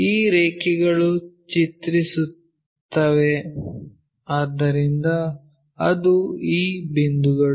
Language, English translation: Kannada, These lines maps; so, that is this one